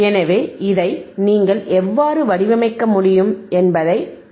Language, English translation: Tamil, So, let us see on the screen, how it how you can design this